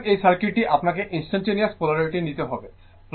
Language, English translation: Bengali, So, the this is the circuit you have to take a instantaneous polarity plus, minus